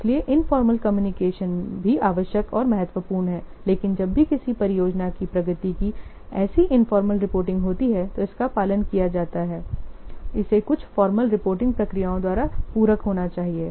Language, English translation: Hindi, So informal communication is also necessary and important, but whenever any such informal reporting of project progress, it is followed, it must be complemented by some formal reporting procedures